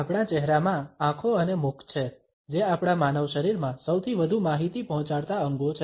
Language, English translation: Gujarati, Our face has eyes and mouth, which are the most communicative organs in our human body